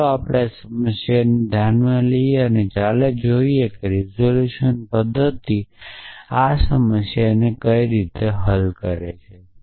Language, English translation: Gujarati, So, let us address this problem let us see an how the resolution method solve this problem